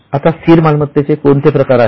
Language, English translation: Marathi, Now, what are the types of fixed assets